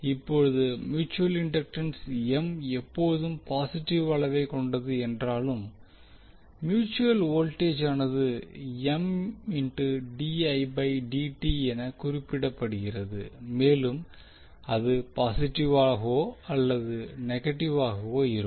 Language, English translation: Tamil, Now although the mutual inductance M is always a positive quantity the voltage that is mutual voltage represented as M dI by dt may be negative or positive